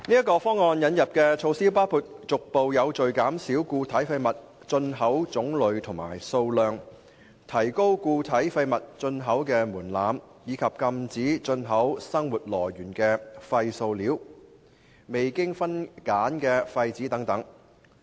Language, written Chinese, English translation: Cantonese, 該方案引入的措施包括逐步有序減少固體廢物進口種類和數量、提高固體廢物進口門檻，以及禁止進口生活來源的廢塑料、未經分揀的廢紙等。, Measures introduced under the Plan include gradually and systematically reducing the types and quantities of imported solid waste raising the threshold for importing solid waste and banning the import of household waste plastics unsorted waste paper etc